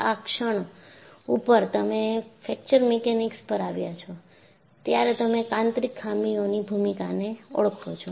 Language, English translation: Gujarati, The moment, you have come to Fracture Mechanics, you recognize the role of inherent flaws